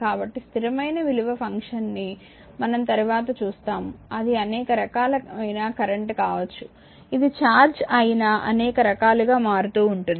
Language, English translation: Telugu, So, constant valued function as we will see later that can be several types of current that is your charge can be vary with time in several ways